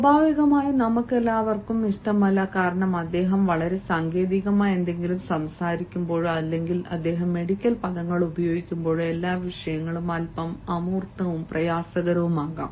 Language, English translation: Malayalam, naturally all of us would not like, because when he talks about something very technical or he will use them medical terms and all the topic may become a bit abstruse and difficult